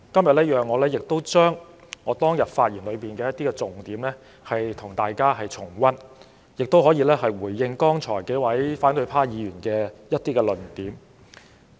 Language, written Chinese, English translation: Cantonese, 讓我與大家重溫我當天發言的一些重點，亦讓我回應剛才數位反對派議員提出的論點。, Let me revisit some of the key points of my speech at that time and respond to the arguments made by several opposition Members a while ago